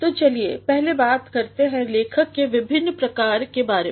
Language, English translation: Hindi, So, let us first talk about the different types of writing